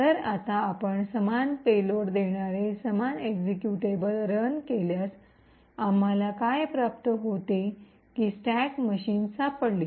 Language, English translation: Marathi, So now if you run the same executable giving the same payload, what we obtain is that stacks machine gets detected